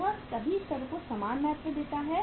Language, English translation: Hindi, It gives the equal importance at all the levels